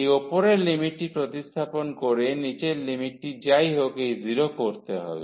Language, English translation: Bengali, So, substituting this upper limit here, the lower limit will make anyway this 0